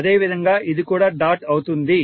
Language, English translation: Telugu, Similarly, this is also a dot